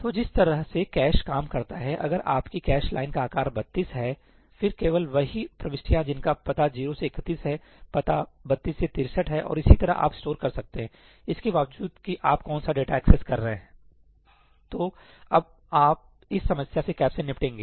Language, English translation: Hindi, So, the way the caches work is, if your cache line size is 32, then the only entries that you can store are address 0 to 31, address 32 to 63 and so on, irrespective of which data in that you are accessing